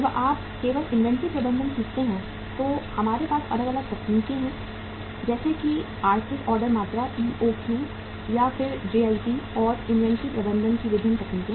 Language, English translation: Hindi, When you simply learn the inventory management we have different techniques like economic order quantity EOQ and then JIT and different techniques of inventory management